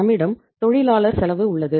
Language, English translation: Tamil, We have labour cost